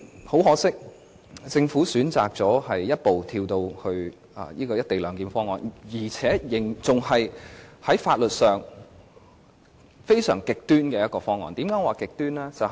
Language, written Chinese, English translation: Cantonese, 很可惜，政府選擇一步跳到現時的"一地兩檢"方案，而且採取在法律上非常極端的做法。, Regrettably the Government has chosen to jump right over to the present co - location proposal and to take a very extreme approach to the issue of legality